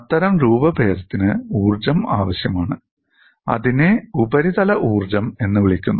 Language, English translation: Malayalam, Such deformation requires energy and is known as surface energy